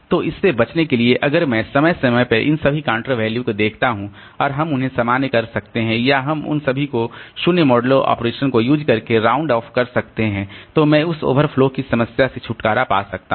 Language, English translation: Hindi, So, to avoid that, so if I periodically look into all these counter values and we can just normalize them or we can do all of them round to some zero modular operation, then I can get rid of that overflow problem